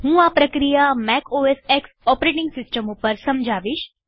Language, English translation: Gujarati, I will explain this process in a MacOSX operating system